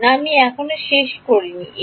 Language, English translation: Bengali, No I have not finished a